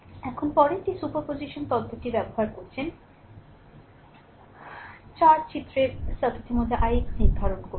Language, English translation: Bengali, Now, next one is using superposition theorem determine i x in the circuit in the figure 4